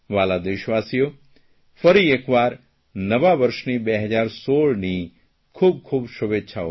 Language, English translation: Gujarati, Dear Countrymen, greetings to you for a Happy New Year 2016